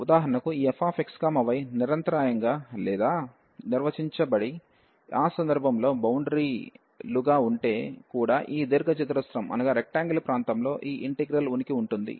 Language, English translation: Telugu, So, for example, if this f x, y is continuous or defined and bounded in that case also this integral will exist on this rectangular region